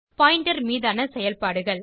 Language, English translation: Tamil, And operations on Pointers